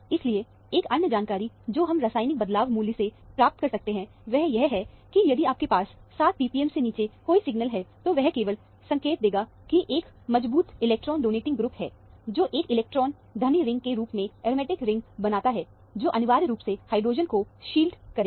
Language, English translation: Hindi, So, one other information that we can get from the chemical shift value is that, if you have any signal below 7 p p m, that would only indicate that there is a strong electron donating group, making the aromatic ring as an electron rich ring, which would essentially shield the hydrogen